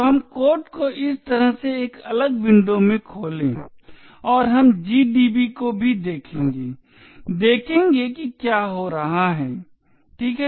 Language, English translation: Hindi, So let us open the code in a different window like this and we will also look at gdb and see exactly what is happening, ok